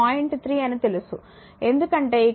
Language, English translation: Telugu, 3 because here I have taken t is equal to 0